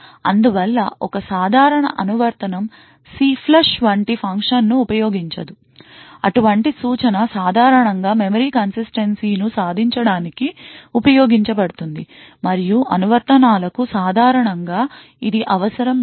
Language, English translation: Telugu, As such, a typical application does not use a function like CLFLUSH, such an instruction is typically used to achieve memory consistency and which is not typically needed by many applications